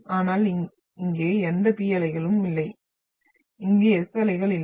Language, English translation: Tamil, But no P waves here, no S waves here right from this to this one